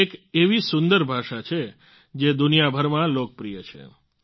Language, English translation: Gujarati, It is such a beautiful language, which is popular all over the world